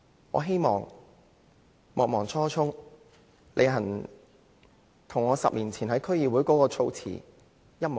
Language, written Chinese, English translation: Cantonese, 我希望莫忘初衷，履行我10年前在區議會的言論。, I hope that I will not forget my original goal and will make good on my words at the District Council 10 years ago